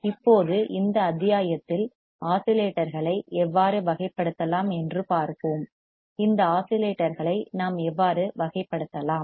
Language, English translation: Tamil, Now, in this module, let us see how we can classify the oscillators; how we can classify these oscillators